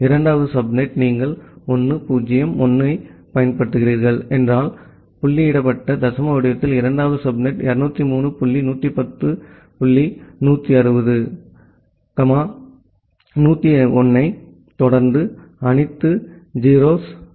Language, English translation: Tamil, The 2nd subnet if you are using 1 0 1, then the second subnet in the dotted decimal format becomes 203 dot 110 dot 160, 1 0 1 followed by all 0s 0 slash 19